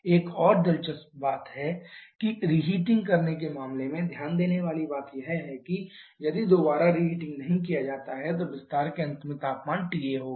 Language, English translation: Hindi, Another interesting point to note in case of reheating is that if there is no reheating then the temperature at the end of expansion would have been T A